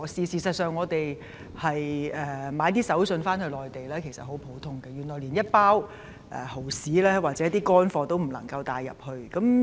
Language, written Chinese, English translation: Cantonese, 事實上，以往購買手信回內地十分普遍，但現在連一包蠔豉等乾貨也不能入境。, In fact it used to be very common for people to buy gifts while returning to the Mainland . However at present dried seafood products even a bag of dried oysters cannot be carried into the Mainland